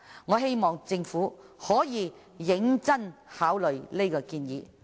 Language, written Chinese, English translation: Cantonese, 我希望政府可以認真考慮這項建議。, I hope that the Government will consider this proposal seriously